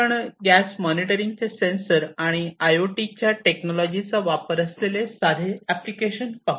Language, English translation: Marathi, Let us look at a very simple application of gas monitoring using different sensors and IIoT technologies